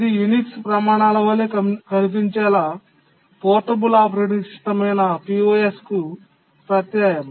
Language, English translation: Telugu, The I X was simply suffix to POS, the portable operating system to make it look like a Unix standard